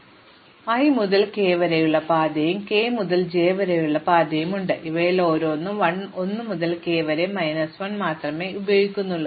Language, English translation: Malayalam, So, I can break up the path, as a path from i to k and the path k to j, each of which uses only 1 to k minus 1